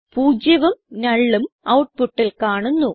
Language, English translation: Malayalam, We see the output zero and null